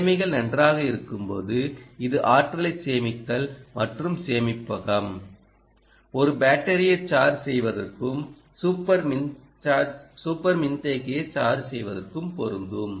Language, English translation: Tamil, when conditions are good, store the energy and the storage can be in terms of charging a battery and charge a super capacitor